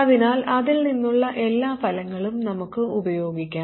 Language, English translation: Malayalam, So we can simply use all of the results from that one